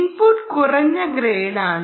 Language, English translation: Malayalam, input is low grade, right um